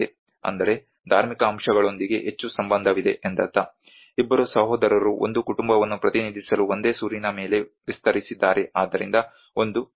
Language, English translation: Kannada, So which means it is more to do with the religious aspects, two brothers have extended one single roof to represent a family belonging, so there is a family